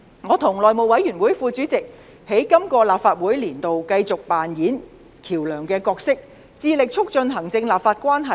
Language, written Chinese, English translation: Cantonese, 我和內務委員會副主席在今個立法年度繼續扮演橋樑的角色，致力促進行政立法關係。, I and the Deputy Chairman of the House Committee continue to play a bridging role in the current legislative year and strive to promote the executive - legislature relationship